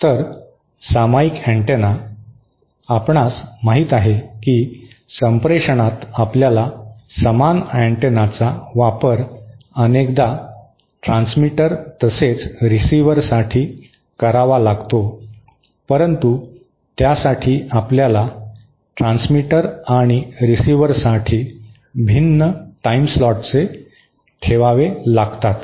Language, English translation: Marathi, So, a shared antenna, you know in communication we have to use the same antenna often use the same antenna for both the transmitter as well as the receiver but then to do that, we have to allocate different timeslots for the transmitter and the receiver